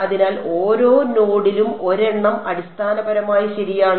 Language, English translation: Malayalam, So, one attached to each node basically right